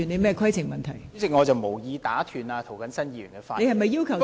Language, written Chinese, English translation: Cantonese, 代理主席，我無意打斷涂謹申議員的發言。, Deputy President I do not intent to interrupt Mr James TO